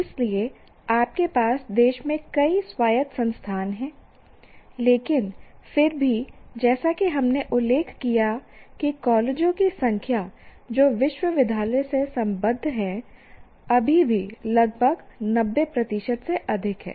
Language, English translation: Hindi, So you have several autonomous institutions in the country, but still as we mentioned that a number of colleges which are affiliated to a university constitute still about more than 90 percent